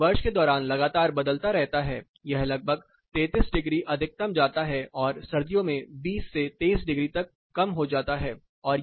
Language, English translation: Hindi, So, it continuously varies all through the year it goes up to around 33 degrees maximum and as low as around 20 to 23 degrees during winter